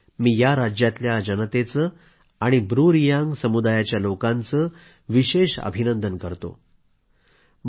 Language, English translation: Marathi, I would once again like to congratulate the residents of these states and the BruReang community